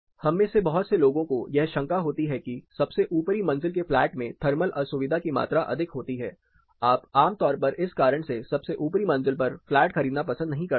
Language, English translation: Hindi, Lot of us have you know an apprehension that the top most floor in a flat has more amount of thermal discomfort you would generate down preferred buying a flat just on the top most floor for one reason that you get a lot of heat